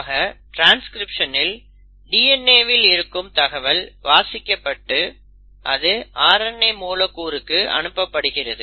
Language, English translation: Tamil, So in transcription, whatever instruction which was stored in the DNA has been copied into a single stranded mRNA molecule